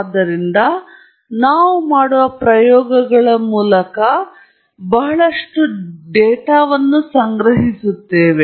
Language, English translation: Kannada, So, those are experiments that we do and we collect a lot of data